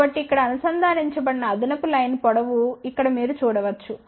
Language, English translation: Telugu, So, you can see here there is a additional line length which has been connected over here